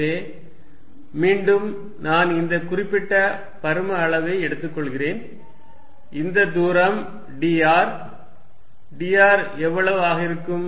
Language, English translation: Tamil, So, again I am taking this particular volume element, this distance is d r how much is dr